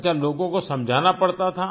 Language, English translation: Hindi, Okay…did you have to explain people